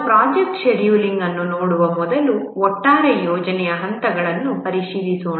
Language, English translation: Kannada, Before we look at project scheduling, let's examine the overall project steps